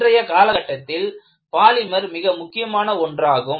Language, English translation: Tamil, And, polymers are also becoming very important these days